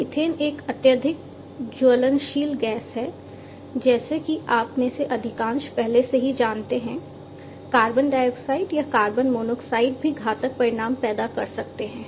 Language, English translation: Hindi, Methane is a highly inflammable gas, as most of you already know carbon dioxide or carbon monoxide can also cause fatalities